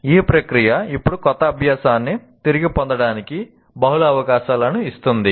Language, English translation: Telugu, This process now gives multiple opportunities to retrieve new learning